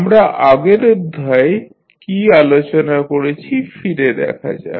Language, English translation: Bengali, Let us recollect what we discussed in previous lectures